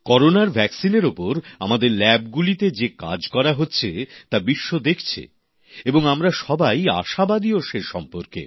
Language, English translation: Bengali, Work being done in our labs on Corona vaccine is being keenly observed by the world and we are hopeful too